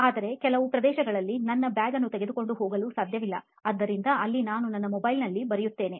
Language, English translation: Kannada, But in some areas I cannot take my bags, so there I write in my mobile phone